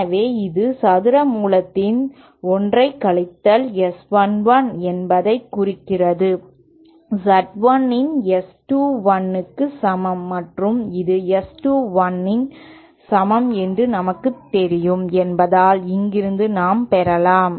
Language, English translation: Tamil, So then this implies that 1 minus S 1 1 upon square root of Z 1 is equal to S 2 1 and this is equal to as we know is equal to S 2 1 from here we can derive an expression for S 2 1 will be equal to Z 2 upon Z 1 square root